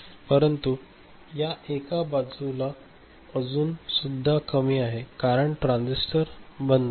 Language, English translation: Marathi, What about the other side this one, it is still at low because this transistor is at OFF